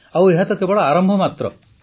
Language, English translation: Odia, And this is just the beginning